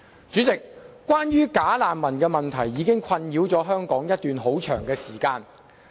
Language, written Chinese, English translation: Cantonese, 主席，"假難民"問題已困擾香港一段很長時間。, President the problem of bogus refugees has been troubling Hong Kong for a very long time